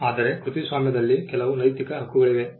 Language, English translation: Kannada, There are also certain moral rights that vest in a copyright